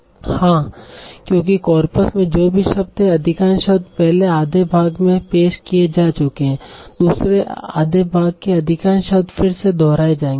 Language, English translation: Hindi, Yes, because whatever words were there in the coppers, most of the words have already been introduced in the first half, second half most of the words will be again getting repeated